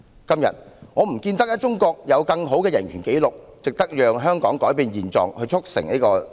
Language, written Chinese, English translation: Cantonese, 今天，我看不到中國有更好的人權紀錄，值得香港改變現狀以促成此事。, Today I fail to see that China has a better human rights record that is worthy for Hong Kong to change its status quo to facilitate such an arrangement